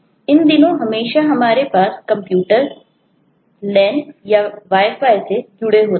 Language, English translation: Hindi, these days we always have computers connected on the lan or wi fi and so on